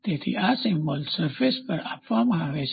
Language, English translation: Gujarati, So, these symbols are given on a surface